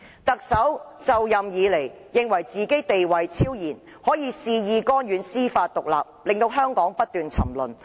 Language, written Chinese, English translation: Cantonese, "特首就任以來，認為自己地位超然，恣意干預司法獨立，導致香港不斷沉淪。, Since assuming office the Chief Executive considered himself superior and hence wilfully interfere with the independent judicial system resulted in the continued decline of Hong Kong